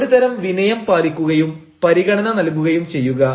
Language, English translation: Malayalam, so maintain a sort of curtsey and have consideration